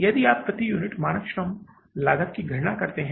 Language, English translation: Hindi, What is the standard labour cost per unit